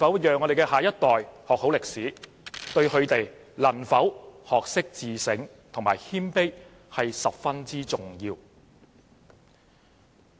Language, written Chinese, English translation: Cantonese, 讓下一代學好歷史，對他們能否學會自省和謙卑十分重要。, Having a good knowledge of history is vital for the next generation to learn about self - reflection and humility